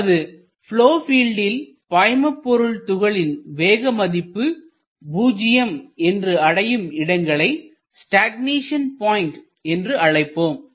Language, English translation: Tamil, So, in a flow field the points where the velocities are 0, those are called as stagnation points